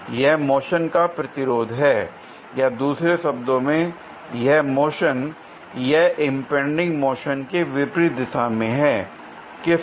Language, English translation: Hindi, It is the resistance to the motion or in other words in a direction opposite to the motion or impending motion; of what